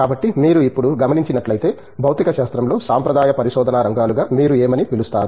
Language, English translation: Telugu, So, if you look at it now, what would you call as traditional areas of research in physics